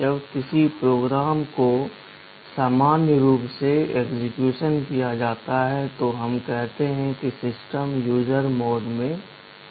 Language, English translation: Hindi, When a program is executed normally, we say that the system is in user mode